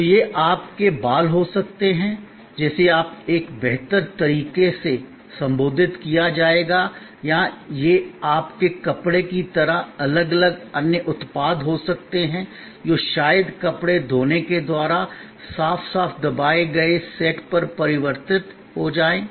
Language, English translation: Hindi, So, that could be your hair, which will be now addressed in a prettier mold or it could be different other products like your cloths maybe converted into clean nicely pressed set by the laundry and so on